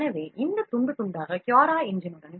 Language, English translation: Tamil, we have this CuraEngine settings here